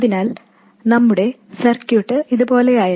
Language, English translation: Malayalam, So if you recall our circuit look like this